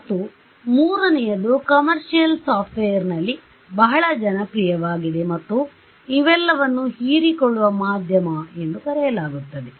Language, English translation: Kannada, And, the third which is actually very popular in commercial software and all these are called absorbing media ok